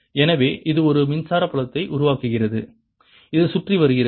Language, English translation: Tamil, as the magnetic flux changes it produces an electric field going around